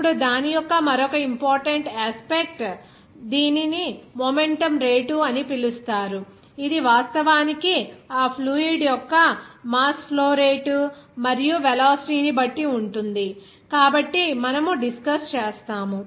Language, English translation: Telugu, Then another important aspect of that, it is called rate of momentum, that also actually depending on that mass flow rate of that fluid there and also velocity, so we will be discussing